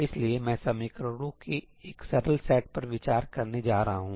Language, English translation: Hindi, I am going to consider a simple set of equations